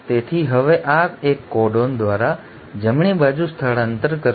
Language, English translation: Gujarati, So this now will shift by one codon to the right